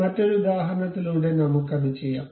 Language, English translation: Malayalam, Let us do that with another example